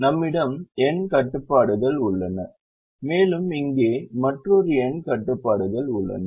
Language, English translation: Tamil, we have n constraints here and we have another n constraints here